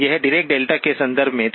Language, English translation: Hindi, This was in the context of the Dirac delta